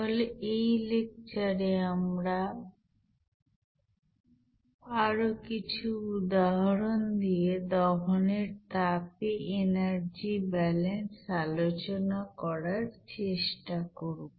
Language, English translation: Bengali, So in this lecture we will try to discuss about the energy balance with heat of combustion with some examples